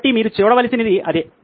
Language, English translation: Telugu, So that is what you have to look at